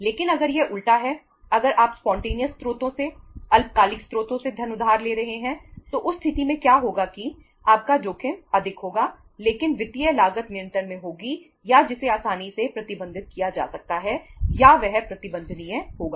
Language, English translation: Hindi, But if it is reverse, if you are borrowing funds from the spontaneous sources short term sources in that case what will happen that your risk uh will be more but the financial cost will be uh under control or that can be easily managed or that will be manageable